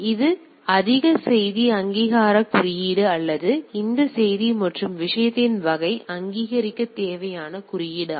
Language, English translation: Tamil, So, this is more message authentication code or the code which is required to authenticate this message and type of thing right